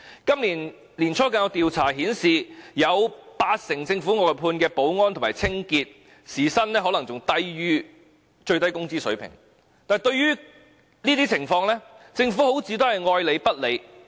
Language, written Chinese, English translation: Cantonese, 今年年初更有調查顯示，有八成政府外判的保安和清潔員工的時薪更可能低於最低工資水平，但對於這些情況，政府好像愛理不理。, A survey conducted at the beginning of this year indicated that the hourly wages of over 80 % of workers of outsourced security and cleaning services of the Government may be lower than the minimum wage rate . But to such situations the Government seems to remain indifferent